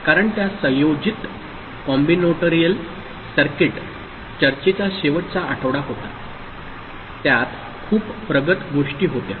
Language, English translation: Marathi, Because that was the last week of the combinatorial circuit discussion, so lot of advanced things were there